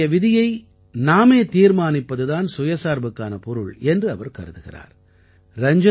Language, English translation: Tamil, He believes that being selfreliant means deciding one's own fate, that is controlling one's own destiny